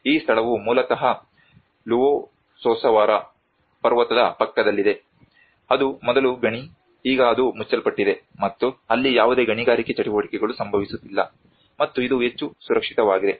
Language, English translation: Kannada, This place is basically next to the Luossavaara mountain which was earlier a mine has been closed, and there is no mining activity going to happen there, and it is much more safer